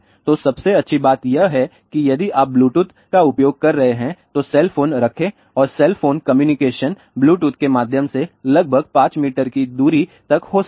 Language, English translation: Hindi, So, the best thing is if you are using Bluetooth keep the cell phone and the cell phone communication can take place through Bluetooth till about 5 meter distance